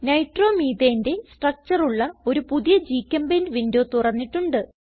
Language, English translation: Malayalam, I have opened a new GChemPaint window with structures of Nitromethane